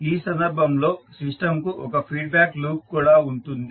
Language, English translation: Telugu, So in this case the system has one feedback loop also